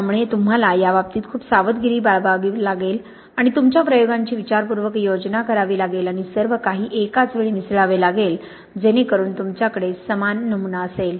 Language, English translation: Marathi, So you have to be very careful about this and plan your experiments to hopefully and mix everything at the same time so you have the similar sample